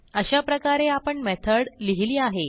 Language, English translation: Marathi, So we have written a method